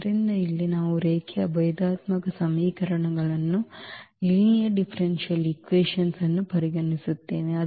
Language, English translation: Kannada, So, here we consider the linear differential equations